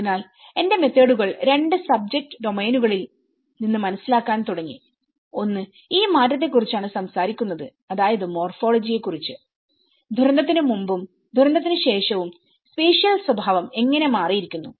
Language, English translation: Malayalam, So, my methods have started understanding from two subject domains, one is talking about the change which is about this morphology which how the spatial character has changed before disaster and after disaster